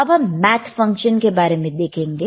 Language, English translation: Hindi, Now let us see the math function